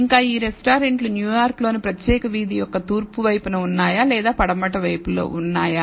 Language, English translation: Telugu, And the location of these restaurants whether on they are on the east side of a particular street in New York or the west side